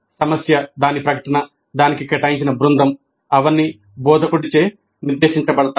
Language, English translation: Telugu, The problem, its statement, the team to which it is assigned, they're all dictated by the instructor